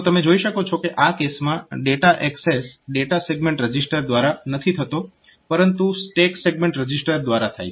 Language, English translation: Gujarati, So, you see that the data access in this case is not by the data segment register, but by the data segment register, but by the stack segment register